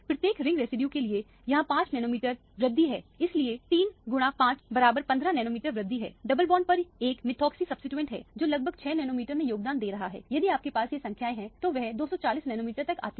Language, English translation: Hindi, For each ring residues it is 5 nanometer increments so three times 5 is 15 nanometer increment, there is a methoxy substituent on the double bond that is contributing about 6 nanometer so over all if you had up these numbers it comes to 240 nanometers